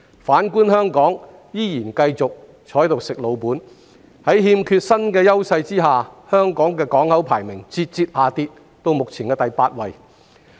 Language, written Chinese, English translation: Cantonese, 反觀香港，仍然繼續"吃老本"，在欠缺新優勢下，香港的港口排名節節下跌到目前的第八位。, By contrast Hong Kong is still living off its past success . In the absence of new competitive advantages the port ranking of Hong Kong has gradually fallen to rank eighth